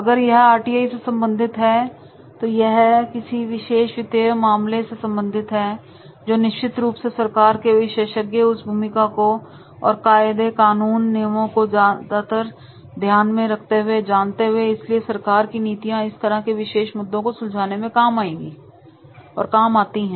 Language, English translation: Hindi, If it is related with the RTI or related to any particular finance, then definitely the expert from government that he can also talk about the rules and regulations that is the what government policy is there on this particular type of issues